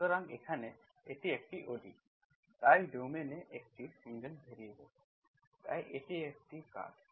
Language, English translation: Bengali, So here, it is a ODE, so domain a single variable, so it is a curve